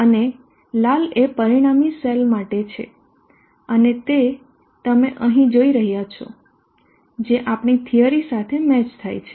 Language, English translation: Gujarati, And the red one is for the result in cell and that is what you are saying here which matches with our theory